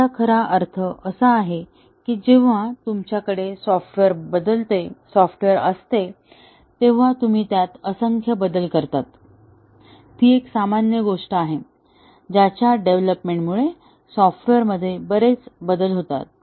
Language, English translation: Marathi, What it really means is that, when you have software, you make numerous changes to it; that is the normal thing; that has the development undergoes lot of changes happen to the software